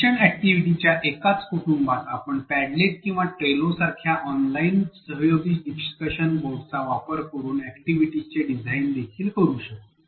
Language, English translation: Marathi, In the same family of learning activities we can also design activities using online collaborative discussion boards such as padlet or trello